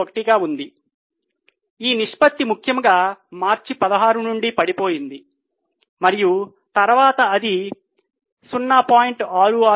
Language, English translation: Telugu, 81, the ratio has fallen particularly from March 16 and then it has become stagnant